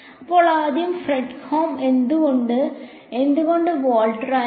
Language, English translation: Malayalam, So, first of all Fredholm why, why not Volterra